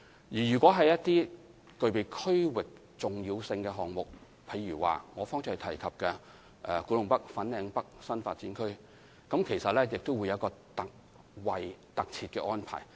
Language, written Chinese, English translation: Cantonese, 對於一些具備區域重要性的項目，例如我剛才提及的古洞北/粉嶺北新發展區項目，當局也設有一個特設安排。, For those projects of regional significance such as KTNFLN NDAs Project mentioned by me earlier on the authorities have also put in place a special arrangement